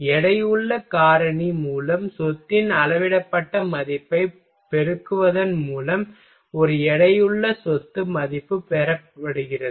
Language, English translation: Tamil, And a weighted property value is obtained by multiplying the scaled value of the property by the weighting factor